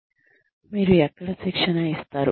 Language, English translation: Telugu, Where do you give the training